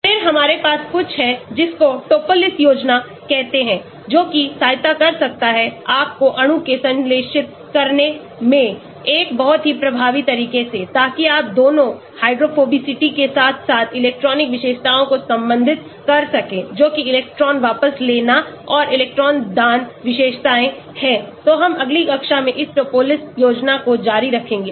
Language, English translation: Hindi, Then we have something called the Topliss scheme which can help you to synthesize molecule in a very, very effective way so that you address both the hydrophobicity as well as the electronic features, that is electron withdrawing and electron donating features , so we will continue this Topliss scheme in the next class